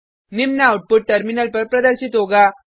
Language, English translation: Hindi, The following output will be displayed on the terminal